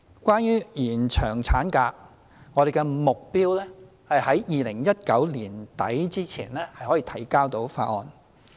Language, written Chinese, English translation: Cantonese, 關於延長法定產假，我們的目標是在2019年年底前可向立法會提交有關法案。, Concerning the extension of statutory maternity leave our target is that the bill concerned can be submitted to the Legislative Council by the end of 2019